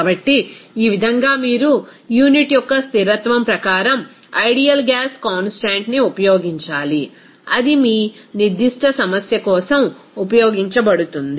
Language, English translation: Telugu, So, in this way, you have to use an ideal gas constant as per consistency of the unit, whatever it will be used for your particular problem